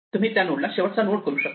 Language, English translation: Marathi, So, you make this node the last node